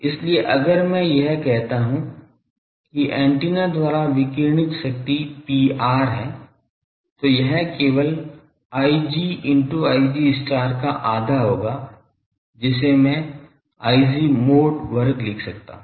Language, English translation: Hindi, So, if I call that P r power radiated by antenna, that will be simply half I g star into I g start that is I am writing I g mod star and mod square